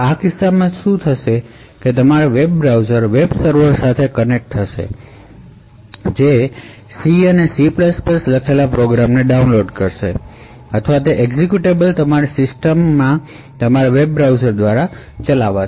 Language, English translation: Gujarati, So in such a case what would happen is your web browser will connect to a web server download a program written in say C and C++ that program or that executable would then execute through your web browser in your system